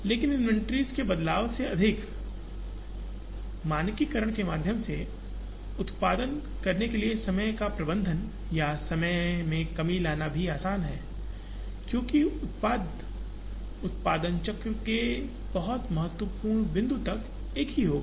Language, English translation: Hindi, But, more than the change of inventory, it is also easy to manage or bring down the time to produce through standardization, because the product would be the same upto a very significant point of the production cycle